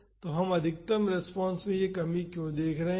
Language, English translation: Hindi, So, why we are seeing this reduction in the maximum response